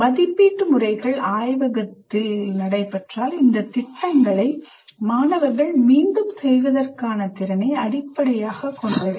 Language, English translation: Tamil, And the assessment methods are also based on students' ability to reproduce these programs in the lab